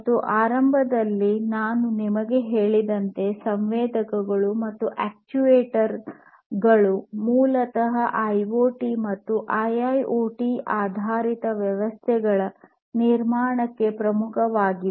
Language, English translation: Kannada, And as I told you at the outset sensors are, and, actuators are basically key to the building of IoT and IIoT based systems